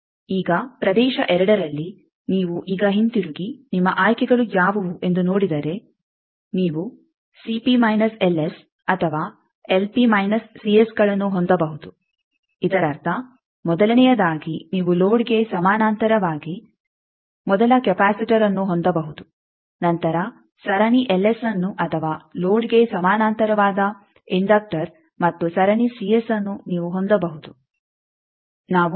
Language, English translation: Kannada, Now in region 2, if you now go back and see that what are your choices you can have a C p L s or L p C s; that means, firstly you can have a first capacitor in parallel with the load then a series L s or a inductor parallel with the load and then is a